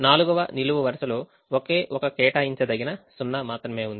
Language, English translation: Telugu, the fourth column has only one assignable, zero